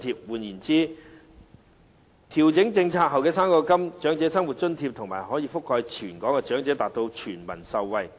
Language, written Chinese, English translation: Cantonese, 換言之，調整政策後的高齡津貼、長生津及高額長生津可以覆蓋全港長者，達致全民受惠。, In other words after the policy is adjusted OAA OALA and the higher - rate payment of OALA will cover all the elderly in Hong Kong thereby benefiting all people